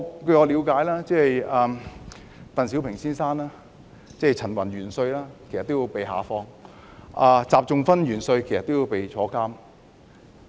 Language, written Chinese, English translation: Cantonese, 據我了解，當時鄧小平先生、陳雲元帥也被下放，習仲勳元帥也被抓進監牢。, As far as I understand it Mr DENG Xiaoping and Commander CHEN Yun were also sent down to the countryside and Commander XI Zhongxun was also put behind bars